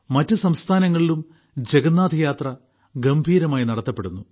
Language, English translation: Malayalam, In other states too, Jagannath Yatras are taken out with great gaiety and fervour